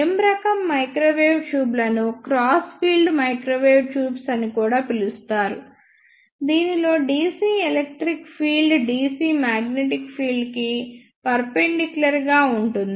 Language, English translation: Telugu, M type microwave tubes are also called as crossed field microwave tubes, in which dc electric field is perpendicular to the dc magnetic field